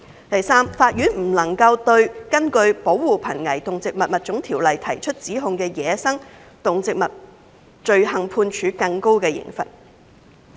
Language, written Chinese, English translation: Cantonese, 第三，法院不能對根據《保護瀕危動植物物種條例》提出指控的走私野生動植物罪行判處更高的刑罰。, Thirdly the Courts are not permitted to pass enhanced sentences for crimes involving wildlife trafficking charged under PESAPO